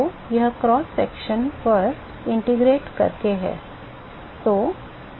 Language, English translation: Hindi, So, that is by integrating over the cross section